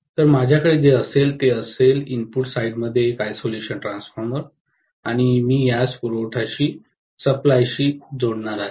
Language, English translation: Marathi, So what I will have is an isolation transformer in the input side like this and I am going to connect this to the supply